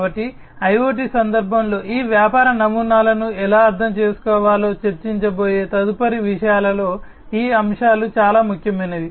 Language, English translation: Telugu, So, these concepts are very important in the next things that we are going to discuss on how these business models should be understood in the context of IoT